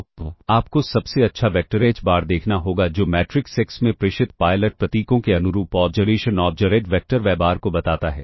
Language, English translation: Hindi, So, you have to look at the best vector h bar which explains the observation observed vector y bar corresponding to the transmitted pilot symbols in the matrix X